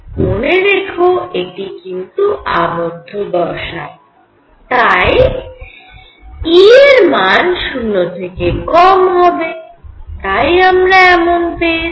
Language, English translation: Bengali, Keep in mind that this is a bound state and therefore, E is less than 0